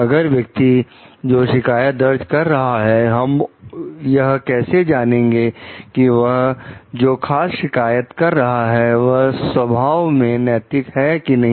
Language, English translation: Hindi, If the person who is making the complaint, how do we know like he is making a particular complaint which is ethical in nature or not